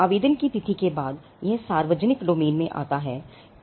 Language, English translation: Hindi, Date of application, after which it falls into the public domain